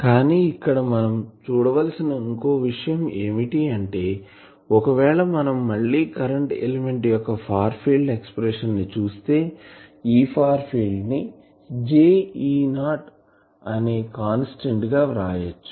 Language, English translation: Telugu, But then the question is that also let me see another thing of this that, if we again look at the far field expressions of the current element and, let me write E far field as j some constant let us say E not, this is the shape this is the field